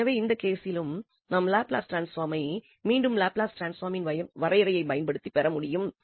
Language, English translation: Tamil, So, in this case also we can get the Laplace transform again applying the definition of the Laplace transform